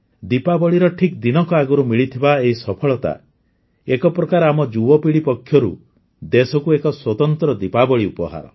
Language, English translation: Odia, This success achieved just a day before Diwali, in a way, it is a special Diwali gift from our youth to the country